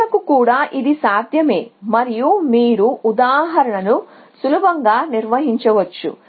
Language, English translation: Telugu, And it is also possible for nodes and close you can easily construct an example